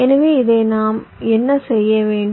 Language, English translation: Tamil, so what do we need to do this